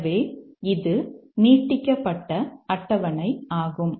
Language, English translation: Tamil, So, this is the extended table